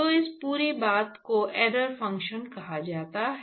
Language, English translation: Hindi, It is called error function